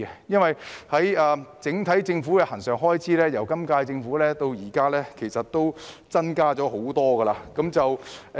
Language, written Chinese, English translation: Cantonese, 因為政府的整體恆常開支由本屆政府上任到現在已增加不少。, The reason is that the Governments overall recurrent expenditure has increased considerably since the inception of the current - term Government